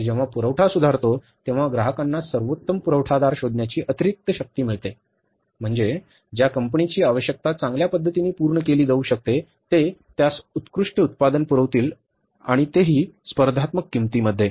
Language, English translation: Marathi, It gives extra power to the customer to look for the best supplier, means the company who can fulfill its requirement in the best possible manner, they can supply them the best product at the very competitive price